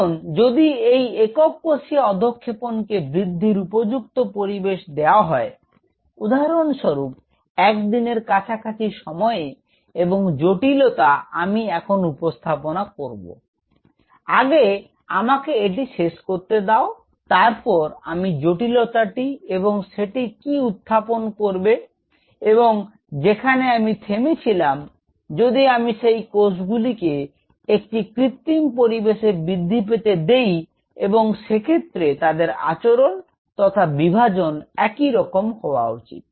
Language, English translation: Bengali, Now, if this single cell suspension is given a right environment to grow; say for example, in a day short somewhere and let me introduce this complexity, let me finish this then I will introduce this complexity what is that and where I stopped, if I allow them to grow on a synthetic environment and they should be able to exactly behave like they should be able to divide like this